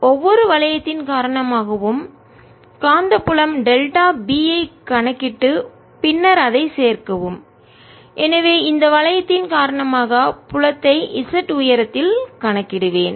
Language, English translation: Tamil, this problem is divide this disc into small rings of width delta r, calculate the magnetic field, delta b due to each ring and then add it up, so i'll calculate the field due to this thing at height z